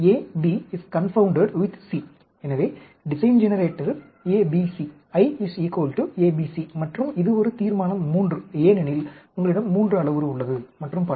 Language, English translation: Tamil, So, the design generator is A B C; I is equal to A B C and this is a Resolution III, because you have 3 parameter, and so on